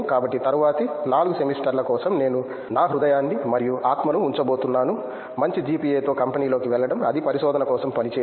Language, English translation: Telugu, So for the next 4 semesters I am going to put my heart and soul, get good GPA get into a company, that doesn’t work for research